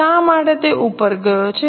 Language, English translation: Gujarati, Why has it gone up